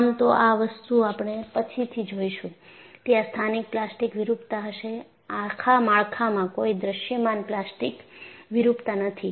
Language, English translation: Gujarati, Althoughwe would see later, there would be localized plastic deformation, the structure as a whole had no visible plastic deformation